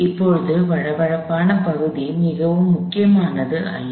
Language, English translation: Tamil, Now, the smooth part is not very important